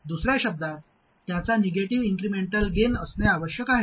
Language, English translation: Marathi, In other words, it must have a negative incremental gain